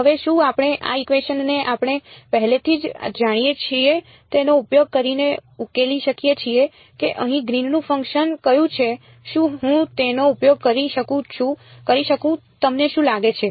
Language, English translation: Gujarati, Now can we solve this equation using what we already know which is the Green’s function over here can I use this what do you think